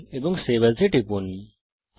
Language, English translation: Bengali, Click on File and Save As